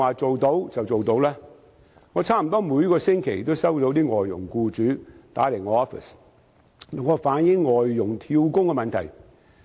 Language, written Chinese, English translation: Cantonese, 我的辦公室差不多每星期也接到外傭僱主來電，要求我反映外傭"跳工"的問題。, My office receives telephone calls almost weekly from employers of foreign domestic helpers requesting me to relay the problem of job - hopping by foreign domestic helpers